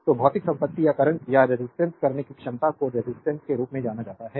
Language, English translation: Hindi, So, the physical property or ability to resist current is known as resistance